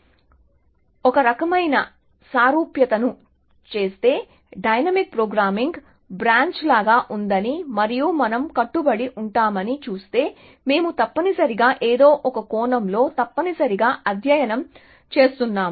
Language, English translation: Telugu, So, if you do some kind of an analogy, if you would see the dynamic programming is like branch and bound that we would, that we were studying essentially in some sense essentially